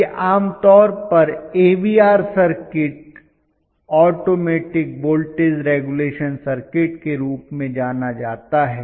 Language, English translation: Hindi, It is generally known as AVR circuit alter automatic voltage regulation circuit, automatic voltage regulation right